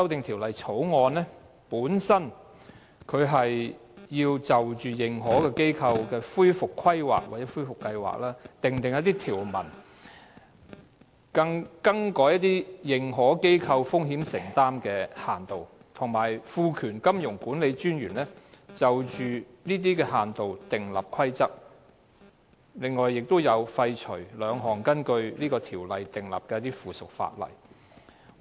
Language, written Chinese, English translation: Cantonese, 《條例草案》旨在就認可機構的恢復規劃或計劃，訂定條文、更改認可機構的風險承擔限度，以及賦權金融管理專員就這些限度訂立規則，並且廢除兩項根據條例訂立的附屬法例。, The Bill seeks to make provisions in relation to the recovery planning or plans of authorized institutions AIs change the limitations on financial exposures incurred by them empower the Monetary Authority MA to make rules in relation to these limits and repeal two pieces of subsidiary legislation made under the relevant ordinance